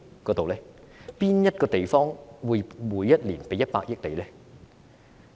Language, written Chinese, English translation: Cantonese, 甚麼地方會每年給你100億元？, Who would give you 10 billion per year?